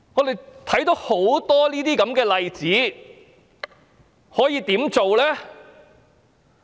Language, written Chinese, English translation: Cantonese, 對於很多這些例子，我們可以怎麼辦？, In respect of so many such cases what can we do?